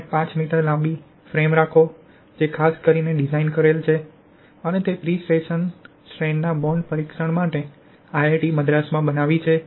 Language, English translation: Gujarati, 5 m long pull out frame, especially designed and fabricated for bond testing of pretension strand in concrete at IIT Madras